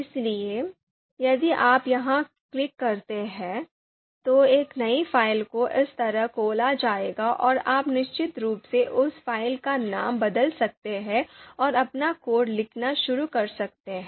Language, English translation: Hindi, So if you click here, then a new file would be opened just like this and you can of course rename that file and start writing writing your code